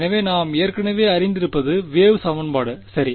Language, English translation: Tamil, So, what we already know is the wave equation right